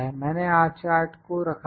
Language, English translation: Hindi, So, this is my R chart